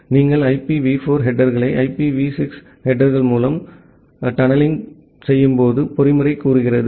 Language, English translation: Tamil, The tunneling mechanism says that you tunnel the IPv4 headers through IPv6 headers